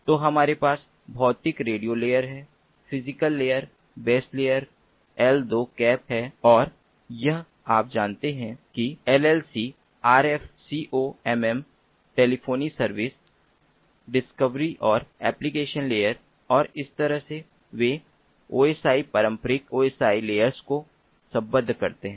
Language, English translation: Hindi, ok, so we have physical radio radio layer or physical layer, baseband layer l, two cap, and this, ah, you know, llc, rf, comm, telephony service, discovery and the application layer, and this is how they map to the osi, traditional osi layers